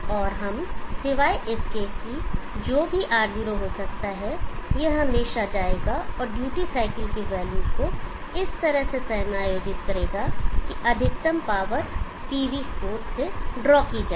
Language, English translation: Hindi, And we except that whatever may be R0, this will always go and adjust the value of the duty cycle in such a way that maximum power is drawn from the PV source